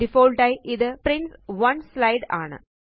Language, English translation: Malayalam, By default, it prints 1 slide per page